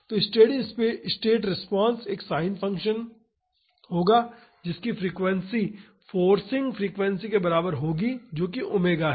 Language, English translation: Hindi, So, the steady state response will be a sin function with frequency equal to the forcing frequency that is omega